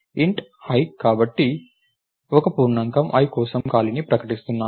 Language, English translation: Telugu, And int is a so, int i is declaring space for an integer i right